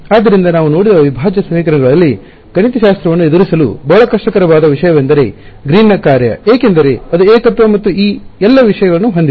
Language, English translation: Kannada, So, in integral equations which we looked at, one of the very difficult things to deal with mathematically was Green’s function because, it has singularities and all of those things right